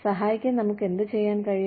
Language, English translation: Malayalam, What can we do, to help